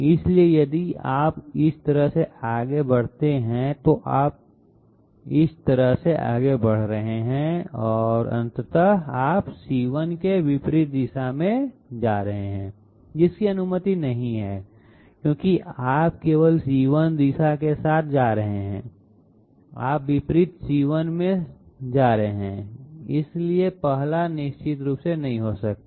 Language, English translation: Hindi, So if you move this way, you are moving this way and ultimately you are ending up in the opposite direction of C1 that is not allowed because you are supposed end up along C1 direction only, you are ending up in opposite C1, so the 1st one definitely cannot be correct